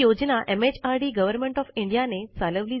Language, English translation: Marathi, Launched by MHRD, Government of India